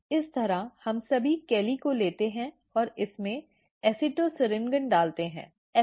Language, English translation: Hindi, In this way we take all the calli and put acetosyringone in it